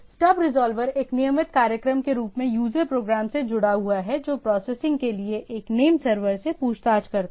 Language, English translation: Hindi, The stub resolver as a routine linked with the user program that forwards queries to a name server for processing